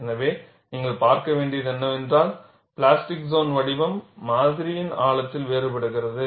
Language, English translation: Tamil, So, what you will have to look at is the plastic zone shape differs over the depth of the specimen; so that is what is summarized